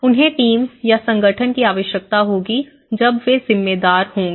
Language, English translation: Hindi, They need to the team or the organization they will be responsible